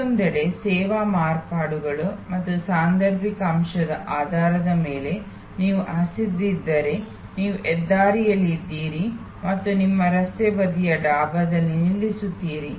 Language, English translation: Kannada, On the other hand, based on service alterations and situational factors like for example, if you are hungry, you are of the highway and you stop at a Dhaba, road side Dhaba